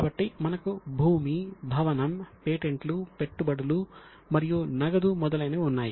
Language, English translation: Telugu, So, we have got land building, patents, investments, cash and so on